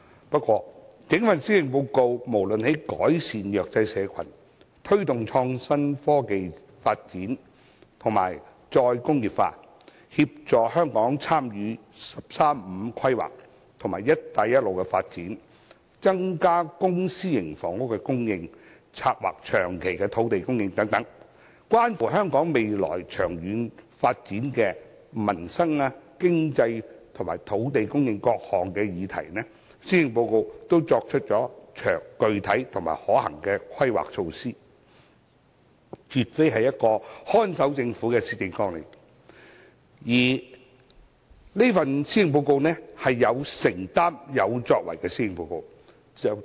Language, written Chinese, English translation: Cantonese, 不過，整份施政報告無論是在扶助弱勢社群、推動創新科技發展及再工業化、協助香港參與"十三五"規劃及"一帶一路"的發展、增加公私營房屋供應，以及策劃長期的土地供應等，關乎香港未來長遠發展的各項民生、經濟及土地供應議題，均作出了具體及可行的規劃，絕非一份看守政府的施政綱領，而是一份有承擔和有作為的施政報告。, But it has set out specific and feasible planning for various livelihood economic and land supply topics which are related to the long - term development of Hong Kong . These topics include assisting the disadvantaged promoting innovation and technology development and re - industrialization assisting Hong Kong in taking part in the development of 13 Five - Year Plan and the Belt and Road Initiative increasing the supply of public and private housing planning for long - term land supply etc . This Policy Address is definitely not a policy agenda of a caretaker government but a policy address with commitment and accomplishment